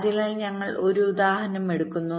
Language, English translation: Malayalam, ok, so we take an example